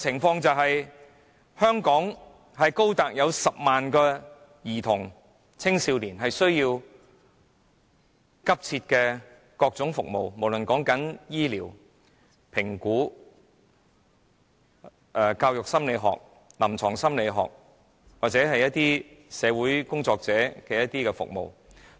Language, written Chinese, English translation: Cantonese, 現時，全港有高達10萬名兒童和青少年急切需要各種服務，包括醫療、評估或是教育心理學、臨床心理學和社會工作者的服務。, In Hong Kong there are currently some 100 000 children and adolescents desperately waiting for various services including medical care assessment or other services relating to educational psychology clinical psychology and social workers